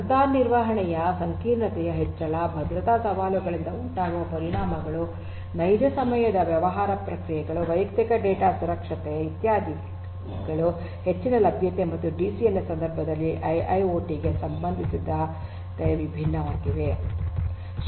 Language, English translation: Kannada, Then increase in the complexity of security management, impacting impacts due to security challenges, real time business processes, personal data safety, etcetera are different challenges with respect to high availability and IIoT in the context of DCN